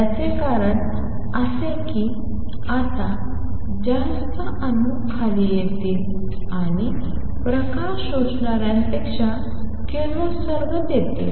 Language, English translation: Marathi, That is because now more atoms will be coming down and giving out radiation than those which are absorbing light